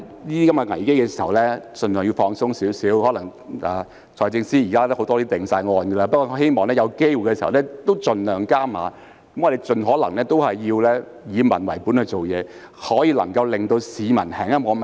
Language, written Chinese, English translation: Cantonese, 也許財政司司長有很多政策已有定案，但我仍希望政府設法盡量加碼，盡可能以民為本地做事，盡量多做不會令市民那麼憤怒的事。, Perhaps many policies of FS have been finalized but I still hope that the Government can try to put more efforts act in the interest of the people as far as possible and try to do more things that will not make citizens that angry